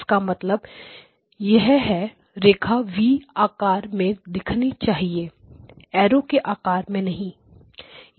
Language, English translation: Hindi, So, which means that the line looks like a V not like an arrow head